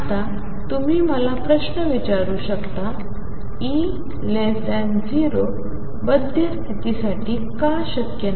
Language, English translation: Marathi, Now you may ask let me ask the question: why is E less than 0 not possible for bound state